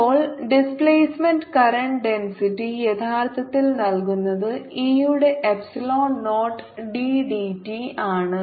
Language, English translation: Malayalam, now, displacement, current density, at is actually given by epsilon, not d t of e